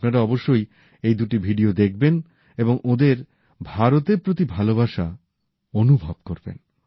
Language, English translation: Bengali, You must watch both of these videos and feel their love for India